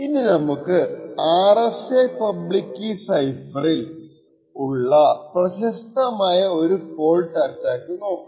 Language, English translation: Malayalam, So let us take a look at a popular fault attack on the RSA public key cipher